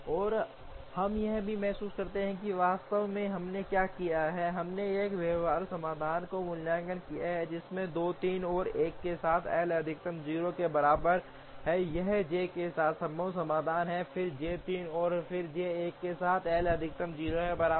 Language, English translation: Hindi, And we also realize that actually what we have done is we have evaluated a feasible solution, with 2 3 and 1 with L max equal to 0, this is the feasible solution with J 2 first, then J 3 and then J 1 with L max equal to 0